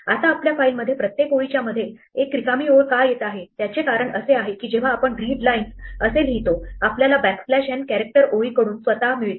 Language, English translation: Marathi, Now, why is there blank lines between every line in our file that is because when we readlines we get a backslash n character from the line itself